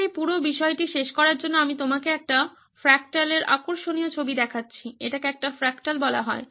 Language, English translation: Bengali, Just to conclude this whole thing I am showing you interesting picture of a fractal, this is called a fractal